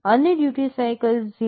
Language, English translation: Gujarati, And duty cycle 0